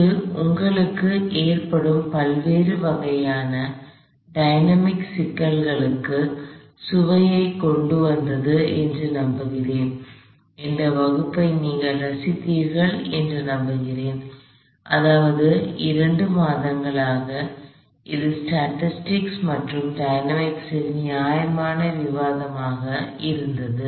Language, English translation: Tamil, I hope this brought a flavor of the various kinds of dynamics problems that occur to you, I hope you enjoyed this class, I mean its been couple of months of fairly instance discussion both in statics and in dynamics